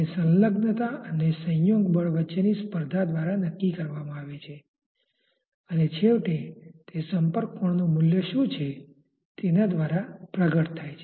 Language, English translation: Gujarati, That is dictated by the competition between the adhesion and the cohesion force, and eventually it is manifested by what is the value of the contact angle